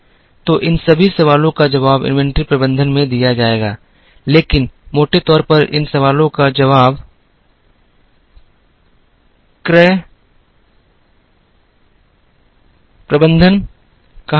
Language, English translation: Hindi, So, all these questions will be answered in inventory management, but largely all these questions will be answered in what is called purchasing management